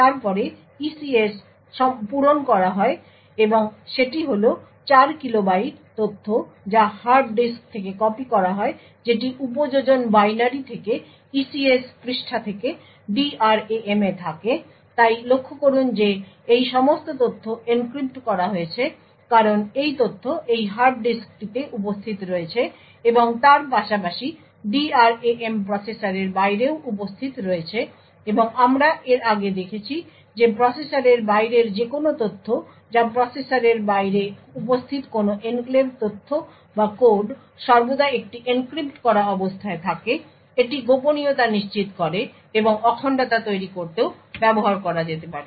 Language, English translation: Bengali, Then the ECS is filled and that is 4 kilo bytes of data which is copied from the hard disk that is from the applications binary to the ECS page that is to the DRAM so note that all of these data encrypted because this data present in this hard disk as well as the DRAM is present outside the processor and as we have seen before any information outside the processor which is any enclave data or code present outside the processor is always in an encrypted state this ensures confidentiality and could also be used to build integrity